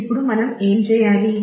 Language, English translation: Telugu, Now, what do we do